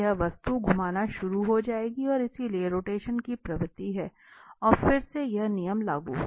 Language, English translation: Hindi, So, this object will start rotating and so, there is a tendency of rotation and again this thumb rule will be applicable